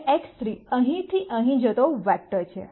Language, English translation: Gujarati, Now X 3 is the vector that goes from here to here